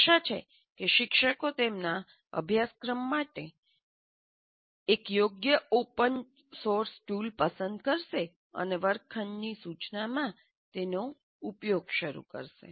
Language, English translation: Gujarati, So hopefully the teachers would select an open source tool appropriate to his course and start using in your classroom instruction